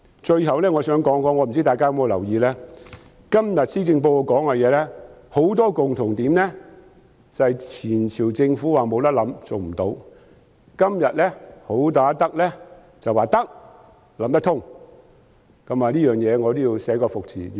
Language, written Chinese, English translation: Cantonese, 最後，不知大家有否留意，今天施政報告提出的很多政策有一共同點，就是前朝政府說"無辦法、行不通"的，今天"好打得"則說"得，有辦法"，我對此要寫個"服"字。, Lastly I wonder if Members have noticed that the many policies proposed in the Policy Address this year share a common feature that is issues which the Government of the previous term considered insoluble and impracticable are considered soluble by the good fighter today . I cannot but admire her for that